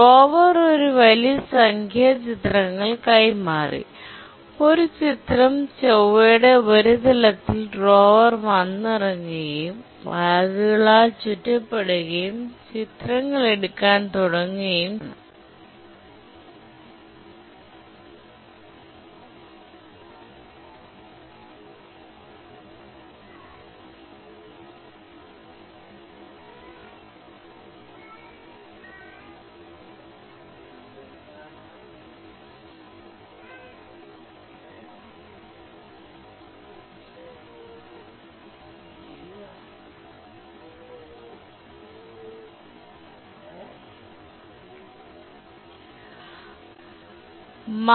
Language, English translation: Malayalam, One picture of the Mars surface, the river has landed on the moon surface surrounded by bags and started taking pictures